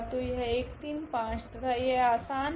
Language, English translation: Hindi, So, this 1 3 5 and this is simple here